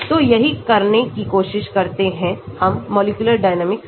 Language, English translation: Hindi, So, that is what we try to do when we do the molecular dynamics